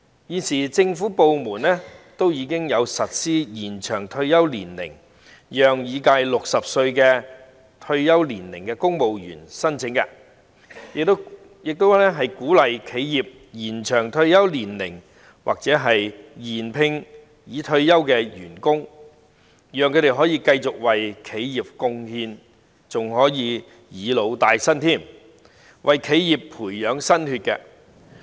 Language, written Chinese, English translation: Cantonese, 現時政府部門已經實施延長退休年齡的安排，讓已屆60歲退休年齡的公務員申請，亦鼓勵企業延長退休年齡或續聘已退休的員工，讓他們可以繼續為企業貢獻，還可"以老帶新"，為企業培養新血。, Arrangements have already been put in place by government departments to extend the retirement age thereby allowing civil servants to apply upon reaching the retirement age of 60 . Enterprises are also encouraged to extend the retirement age or re - employ retired employees so that they can continue to contribute to their enterprises and help to train new blood